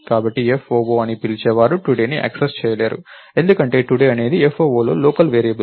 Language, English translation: Telugu, So, whoever called foo cannot access today, because today is a local variable within foo